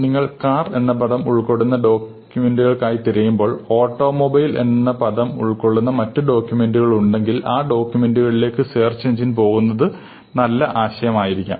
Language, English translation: Malayalam, So, if you search for a document which contains the word car and there is another document which contains the word automobile, it might to be a good idea for the search engine to report the documents containing automobile, because automobile and car are essentially the same thing